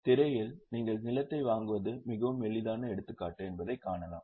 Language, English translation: Tamil, Obviously on the screen you can see that very easy example is purchase of land